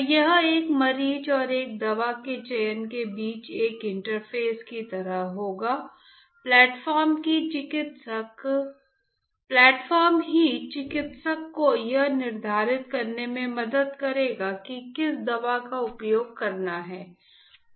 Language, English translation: Hindi, So, it will be like a interface between a patient and a selection of a drug, the platform itself will help the clinician to determine which drug to use